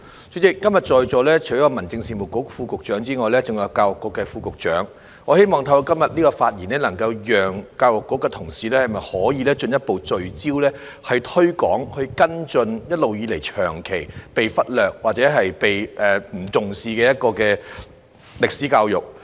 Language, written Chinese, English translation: Cantonese, 主席，今天在座除了有民政事務局副局長，還有教育局副局長，我希望透過今天的發言，能夠促使教育局的同事進一步聚焦推廣及跟進一直以來長期被忽略或不被重視的歷史教育。, President apart from the Under Secretary for Home Affairs the Under Secretary for Education is also present today . I hope that through my speech today I can urge the staff in the Education Bureau to further focus on promoting and following up history education which has long been neglected or not given due attention